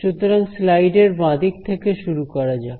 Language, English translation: Bengali, So, let us start with the left part of the slide over here